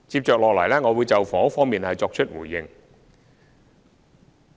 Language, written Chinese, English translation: Cantonese, 接下來，我會就房屋方面作出回應。, Next I will give a reply in the area of housing